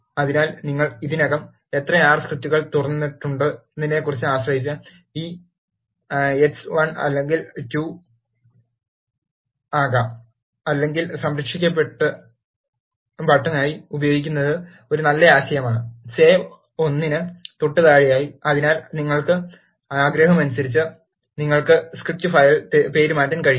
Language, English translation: Malayalam, So, this x can be 1 or 2 depending upon how many R scripts you have already opened, or it is a nice idea, to use the Save as button, just below the Save one, so that, you can rename the script file according to your wish